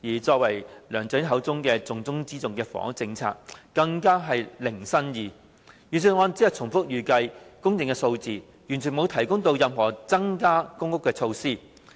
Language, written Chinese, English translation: Cantonese, 至於梁振英口中"重中之重"的房屋政策，更加是零新意，預算案只重複預計的供應數字，完全沒有提出任何增加公屋供應的措施。, As for LEUNG Chun - yings avowed top priority the housing policy there are not even any new ideas to speak of . The Budget only repeats the statistics of projected supply without putting forward any measures of increasing public housing supply